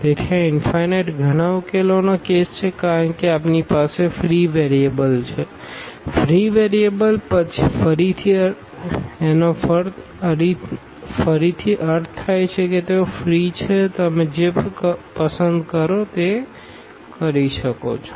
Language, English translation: Gujarati, So, this is the case of infinitely many solutions since we have the free variables; free variables again means they are free, you can choose whatever you like